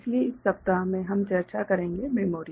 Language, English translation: Hindi, So, in this week, we shall discuss Memory